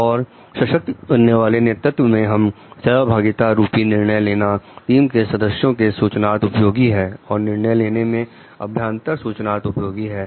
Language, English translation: Hindi, Also in empowering leadership we have participative decision making it is a use of team members information and input in decision making